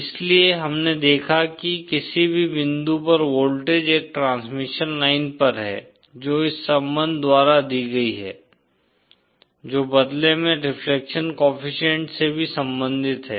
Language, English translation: Hindi, So we saw that the voltage at any point is on a transmission line is given by this relationship which in turn is also related to the reflection coefficient